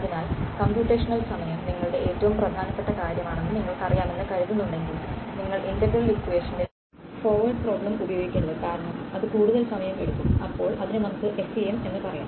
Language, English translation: Malayalam, So, it is yeah if you think if you feel that you know computational time is your most important thing, then you should not run the forward problem in integral equation because, it takes much more time then let us say FEM